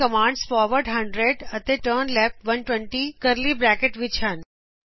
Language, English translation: Punjabi, Here the commands forward 100 and turnleft 120 are within curly brackets